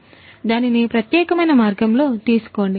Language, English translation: Telugu, So, take it in that particular way